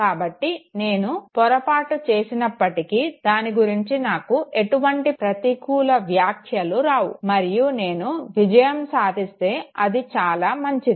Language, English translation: Telugu, So even though I commit an error I do not get any adverse remark for it, and if I succeed fine, it is very good